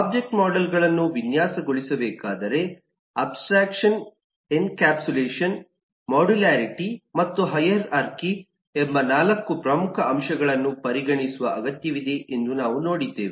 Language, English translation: Kannada, we have eh seen that eh object models ehh to be designed, need to consider 4 major aspects of abstraction, encapsulation, modularity and hierarchy